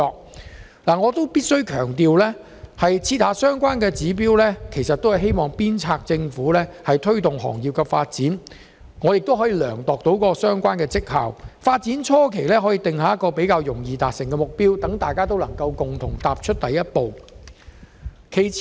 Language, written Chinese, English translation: Cantonese, 然而，我必須強調，訂立相關指標是為了鞭策政府推動行業發展及量度相關績效，所以在發展初期，政府可以訂立較容易達成的目標，鼓勵大家共同踏出第一步。, However I must stress that the setting of such targets only serves as an impetus for the Government to promote industrial development evaluate performance hence the Government may start with a more achievable target at the beginning to induce more people to take the first step